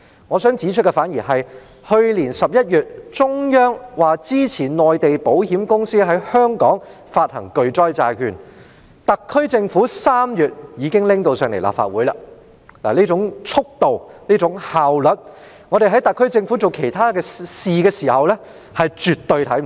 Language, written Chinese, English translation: Cantonese, 我想指出的是，去年11月，中央表示支持內地保險公司在香港發行巨災債券，特區政府在3月已將這項《條例草案》提交立法會，這種速度和效率，在特區政府處理其他事宜時，我們絕對看不到。, My point is that when the Central Government expressed support for Mainland insurers to issue catastrophe bonds in Hong Kong last November this Bill was then tabled before the Legislative Council by the SAR Government in March . We have never seen the Government acting at such speed and with such efficiency while handling other matters